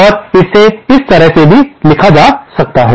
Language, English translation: Hindi, And this can also be written in this way